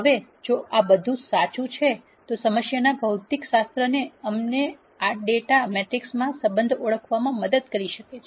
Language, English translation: Gujarati, Now, if all of this is true then the physics of the problem has helped us identify the relationship in this data matrix